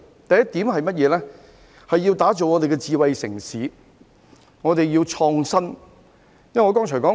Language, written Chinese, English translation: Cantonese, 第一點，要打造香港成為智慧城市，便要創新。, Firstly innovation is required to develop Hong Kong into a smart city